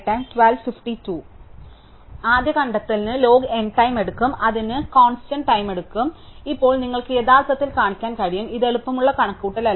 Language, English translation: Malayalam, So, the first find takes log n time, then it takes constant time, so now you can actually show I mean is this is not an easy calculation